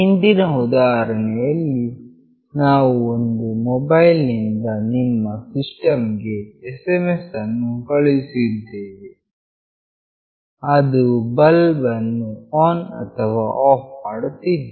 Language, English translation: Kannada, In the previous example we were sending an SMS from a mobile to your system that was making the bulb glow on and off